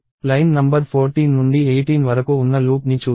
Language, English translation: Telugu, So, let us look at the loop from line number 14 to 18